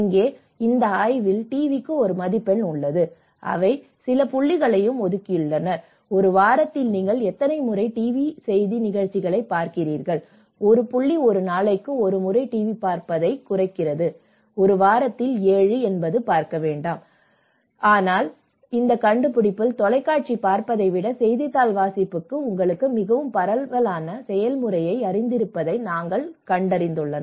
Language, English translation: Tamil, Like in TV is one channel how people know about this innovative aspect but here in this study TV has score, they have also assigned some points, how often do you watch TV news programs in a week, so where 1 point is referred to TV watching once in a week, 7 in a week, 0 is do not watch, but then in this finding, they have found that the newspaper reading has given you know the more diffusive process rather than the TV watching